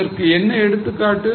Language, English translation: Tamil, Now, what is an example